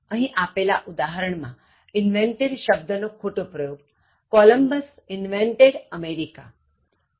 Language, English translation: Gujarati, Wrong usage of invented in the given example: Columbus invented America